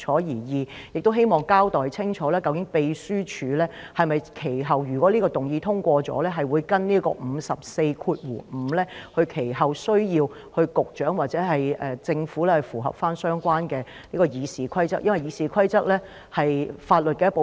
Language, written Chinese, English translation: Cantonese, 第二，亦希望你交代清楚，若此議案獲得通過，究竟秘書處其後會否按照《議事規則》第545條行事，需要局長或政府符合相關議事規則，因為《議事規則》是法律一部分。, Secondly I hope that you will clearly explain whether in the event that this motion is passed the Secretariat will subsequently act in accordance with RoP 545 to require the Secretary or the Government to comply with the relevant rules in RoP since they form part of the law